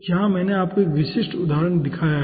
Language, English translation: Hindi, okay, here i have shown you 1 typical example